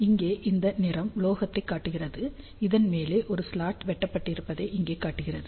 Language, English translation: Tamil, So, this colour here shows metal this one over here shows that is slot has been cut